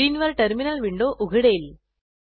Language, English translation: Marathi, A terminal window appears on your screen